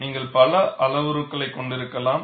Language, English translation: Tamil, You could have many parameters